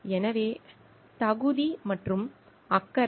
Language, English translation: Tamil, So, competence and concern